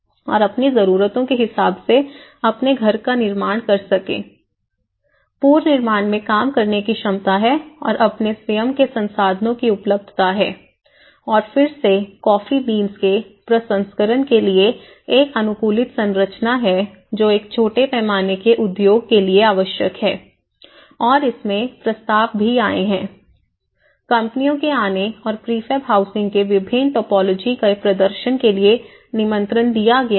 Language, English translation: Hindi, And build the type of house they wanted according to their needs, capacity to work in reconstruction and availability of their own resources whereas, this is again a customized structure for processing coffee beans which is necessity for a small scale industry and there has also been proposals they brought about the invitation for their companies to come and showcase different topologies of the prefab housing